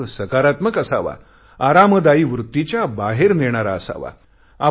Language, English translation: Marathi, The experiment must be positive and a little out of your comfort zone